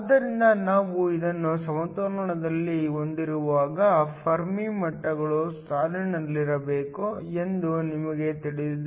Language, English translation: Kannada, So, when we have this in equilibrium we know that the Fermi levels must line up